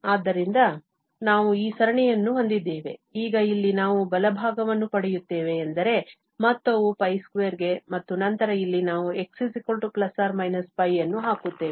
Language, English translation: Kannada, So, we have this series, now at this here, what we get the right hand side means the sum is pi square and then here, we will put x equal to plus minus pi